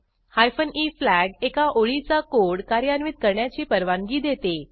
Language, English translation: Marathi, The hyphen e flag allows only a single line of code to be executed